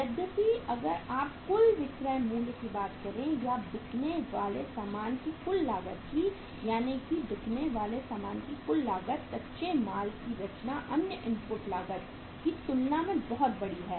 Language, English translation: Hindi, Whereas if you talk about the total selling price or the total cost of goods sold in that total cost of goods sold the composition of raw material is much larger as compared to the other input cost